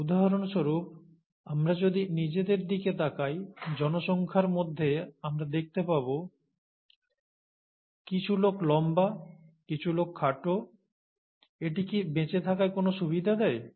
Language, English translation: Bengali, So for example, if we look at ourselves, we would find within the population, some people are tall, some people are shorter, does it provide a survival advantage